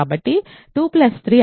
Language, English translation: Telugu, So, what is 2 plus 3